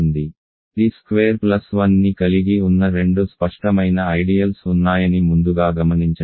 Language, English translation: Telugu, So, these are the obvious two ideals contains t squared plus 1